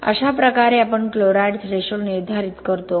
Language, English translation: Marathi, And likewise we determining chloride threshold for OPC